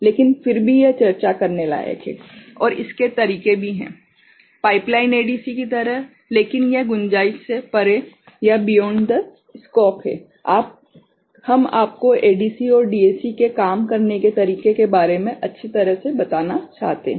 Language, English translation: Hindi, But still it is worth discussing and there are methods also; like pipeline ADC, but that is beyond the scope we wanted to have you fairly good idea about how this ADC and DAC work